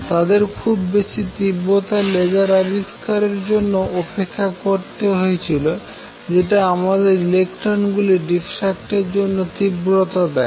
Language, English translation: Bengali, They had to wait till very high intensity lasers who were invented that give you intensity of light to diffract electrons